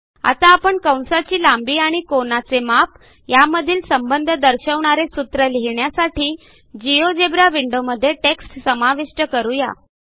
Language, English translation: Marathi, Now we will insert text in the geogebra window to introduce the formula that relates the arc length to the angle subtended